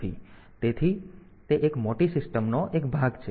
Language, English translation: Gujarati, So, it is or it is a part of a bigger system